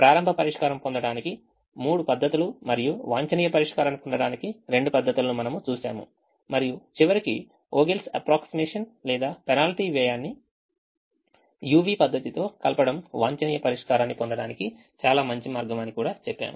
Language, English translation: Telugu, we saw three methods to get initial solution and two methods to get the optimum solution and finally said that the combination of the vogal's approximation or penalty cost with the u v method would is is a very nice way to get the optimum solution